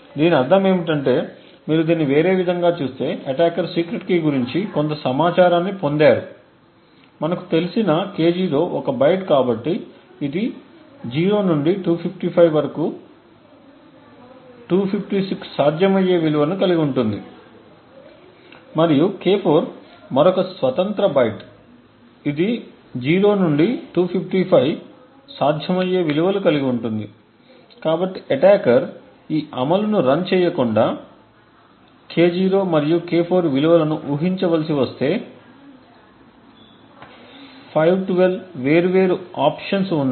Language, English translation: Telugu, What this means is that the attacker has gained some information about secret key if you look at this in other way K0 we know is a byte therefore it has like 256 possible values from 0 to 255 and K4 is another independent byte which has also 0 to 255 possible values, so without actually running this implementation if the attacker has to guess the values of K0 and K4 there are 512 different options